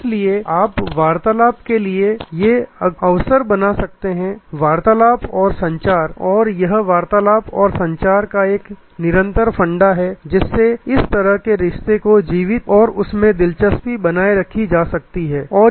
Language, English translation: Hindi, So, you can create these opportunities for conversation, the conversation and communication and a continuing loop of this conversation and communication is the way relationship is kept alive and kept interesting